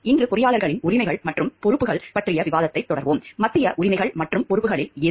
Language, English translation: Tamil, Today we will continue with the discussion of the rights and responsibilities of engineers, which of the central rights and responsibilities